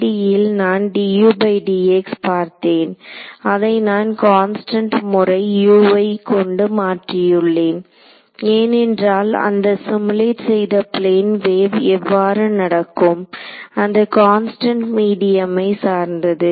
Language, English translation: Tamil, In the 1D case I saw d u by d x, I replaced it by some constant times u because that best simulated how a plane wave behaves those constant depended on the medium and all of that